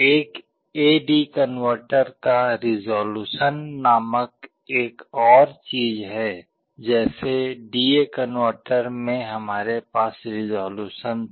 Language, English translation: Hindi, There is another thing called resolution of an A/D converter, just like in a D/A converter we had resolution